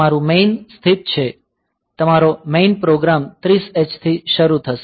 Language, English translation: Gujarati, So, your main is located; so, your main program will start from 30 h onwards